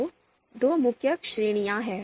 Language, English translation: Hindi, So, two main categories are there